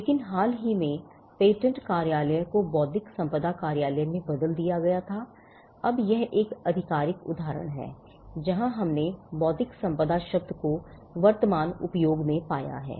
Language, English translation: Hindi, But recently the patent office was rebranded into the intellectual property office, now so that is one official instance where we found the term intellectual property getting into current usage